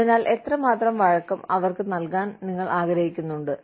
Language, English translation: Malayalam, So, how much of flexibility, do you want to give them